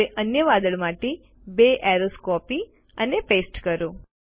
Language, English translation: Gujarati, Now lets copy and paste two arrows to the other cloud